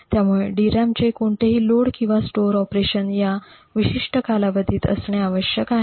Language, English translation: Marathi, So any load or a store operation to a DRAM has to be within this particular time period